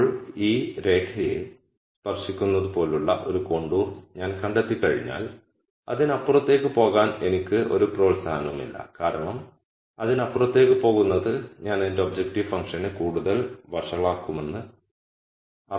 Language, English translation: Malayalam, Now once I find a contour like that which touches this line then there is no incentive for me to go further beyond because going further beyond would mean I would be making my objective function worser